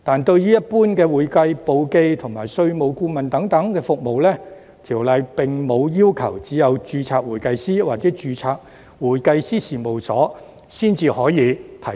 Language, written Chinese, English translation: Cantonese, 對於一般的會計簿記及稅務顧問等服務，《條例》並無要求只有註冊會計師或註冊會計師事務所才可以提供。, With regard to general accounting bookkeeping and tax consultant services the Ordinance does not require that such services can only be provided by certified accountants or registered public accounting firms